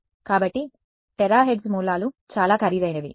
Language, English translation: Telugu, So, a terahertz sources are themselves expensive